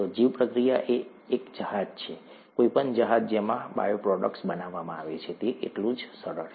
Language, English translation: Gujarati, Bioreactor is a vessel, any vessel, in which bioproducts are made, it is as simple as that